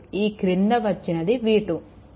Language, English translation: Telugu, Here, it is given v 2